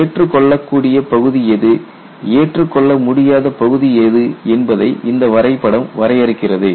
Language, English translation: Tamil, It demarcates what is the acceptable region and what is an unacceptable region